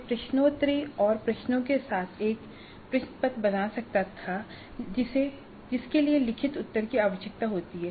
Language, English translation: Hindi, I could create a question paper with quizzes and questions which require written responses